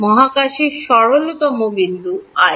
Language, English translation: Bengali, The simplest point in space i